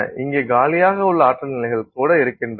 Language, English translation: Tamil, So, even here there are energy levels that are vacant and available